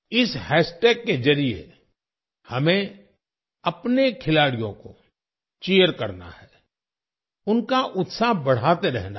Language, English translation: Hindi, Through this hashtag, we have to cheer our players… keep encouraging them